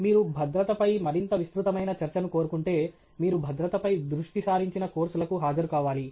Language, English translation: Telugu, If you want a much more elaborate discussion on safety, you really have to attend courses which are focused on safety